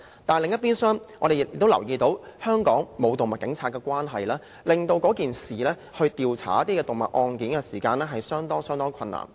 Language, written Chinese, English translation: Cantonese, 但另一邊廂，我們亦留意到，因香港沒有動物警察，而令調查案件時遇上相當的困難。, But in the meanwhile we also notice that because of the absence of animal police in Hong Kong investigation of cases meets with quite some difficulties